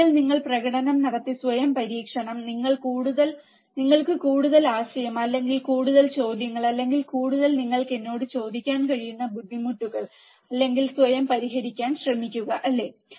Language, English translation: Malayalam, Once you perform the experiment by yourself, you will have more idea, or more questions, or more difficulties that you can ask to me, or try to solve by yourself, right